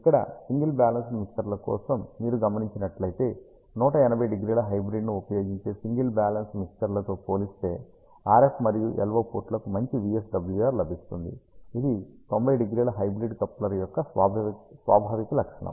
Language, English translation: Telugu, If you observe here for single balance mixers, we get a good VSWR for RF, and LO ports as compared to single balance mixers using 180 degree hybrid, which is the inherent property of a 90 degree hybrid coupler